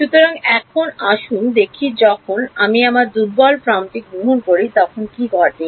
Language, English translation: Bengali, So, now, let us see what happens when I take my weak form